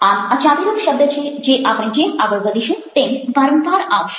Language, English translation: Gujarati, so this is a key term which will come again and again as we proceed